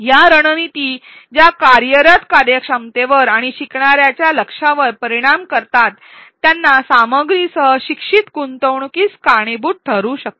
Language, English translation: Marathi, These strategies which affect the working memory and learner attention can lead to improved learner engagement with the content